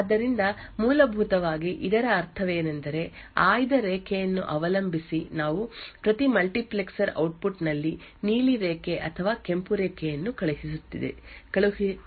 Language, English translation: Kannada, So essentially what this means is that depending on the select line we are either sending the blue line or the red line in each of the multiplexers output